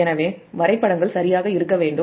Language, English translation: Tamil, so diagrams will be right